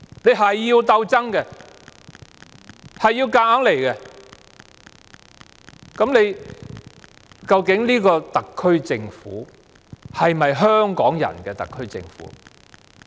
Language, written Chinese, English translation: Cantonese, 老是要鬥爭，老是要硬來，究竟這個特區政府是否香港人的特區政府？, Is the SAR Government a government of the people of Hong Kong when there is endless struggle and the Government keeps making its decisions arbitrarily?